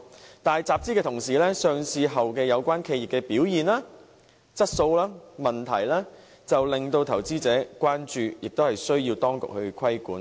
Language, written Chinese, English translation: Cantonese, 可是，在集資的同時，有關企業在上市後的表現、質素和問題就令投資者關注，亦需要當局規管。, Nevertheless capital - raising aside the performance quality and problems of the relevant enterprises after listing have aroused investors concern and require the authorities to exercise regulation . Deputy President I am no investment expert